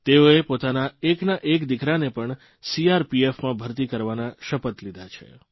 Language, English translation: Gujarati, She has vowed to send her only son to join the CRPF